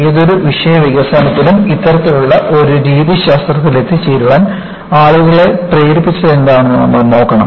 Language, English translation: Malayalam, In any subject development, you have to look at, what prompted the people, to arrive at this kind of a methodology